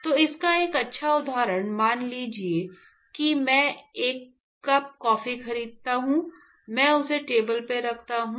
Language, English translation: Hindi, So, a nice example of this is supposing, I purchase a coffee a cup of coffee, I place it on the table